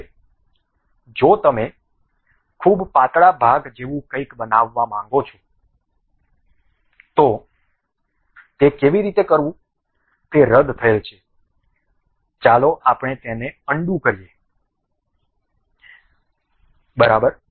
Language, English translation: Gujarati, Now, if you want to construct something like a very thin portion; the way how to do that is cancel, let us undo that, ok